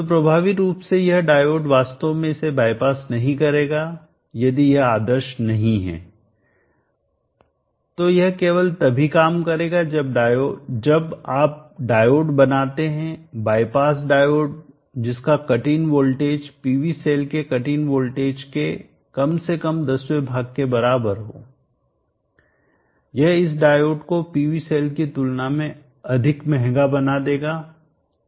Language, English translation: Hindi, So effectively this diode wills not actually the bypass it if it is not ideal, so it will work only if you make a dio the bypass diode which is having a cutting voltage at least 110th that of the cutting voltage of PV cell, that would make this diode more costly then the PV cell itself